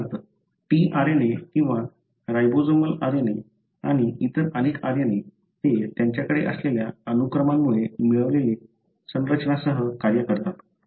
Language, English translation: Marathi, For example, tRNA or ribosomal RNA and many other RNA’s, they function with the structures that they get because of the sequence that they have